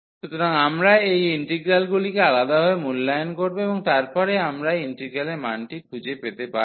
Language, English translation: Bengali, So, we will evaluate these integral separately and then we can find the value of the integral